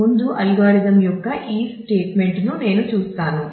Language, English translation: Telugu, Let me before going through this statement of the algorithm